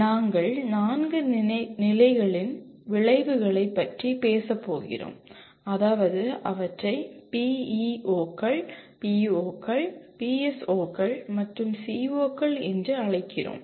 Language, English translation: Tamil, And we are going to talk about 4 levels of outcomes namely, we call them as PEOs, POs, PSOs, and COs